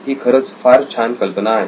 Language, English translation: Marathi, That is a really cool idea